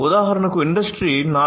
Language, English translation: Telugu, So, for Industry 4